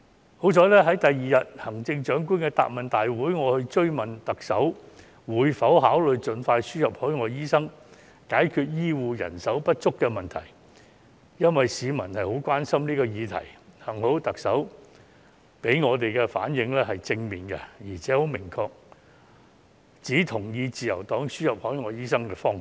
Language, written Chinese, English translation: Cantonese, 幸好，在翌日的行政長官答問會，我追問特首會否考慮盡快輸入海外醫生，解決醫護人手不足這個市民十分關心的議題，特首給我們的回應是正面的，而且明確指出同意自由黨提出輸入海外醫生的方向。, Thankfully in the Question and Answer Session the following day when I asked the Chief Executive whether she would give consideration to the importation of overseas doctors as soon as possible in order to solve the shortage of healthcare manpower which was a major public concern she gave a positive response and clearly stated that she agreed with the Liberal Partys direction of importing overseas doctors